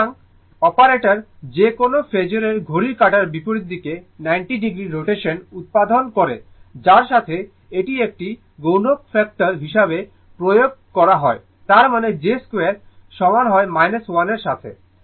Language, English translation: Bengali, So, operator j produces 90 degree counter clockwise rotation of any phasor to which it is applied as a multiplying factor that is; that means, j square is equal to minus 1